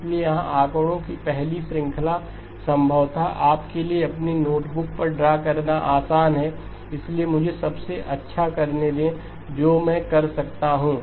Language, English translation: Hindi, So here is the first a series of figures probably easier for you to draw on your notebooks but let me do the best that I can